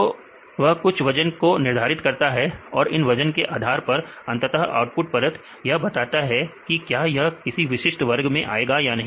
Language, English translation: Hindi, So, they assign some weights and based on this weights finally, the output layer will tell, whether this belongs to any particular class